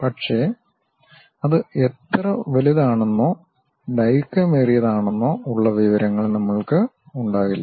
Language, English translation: Malayalam, But, we will not be having information about how large or long it is